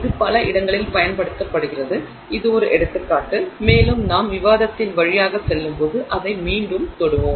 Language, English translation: Tamil, It is used in multiple places this is just an example and I will touch upon it again as we go through the discussion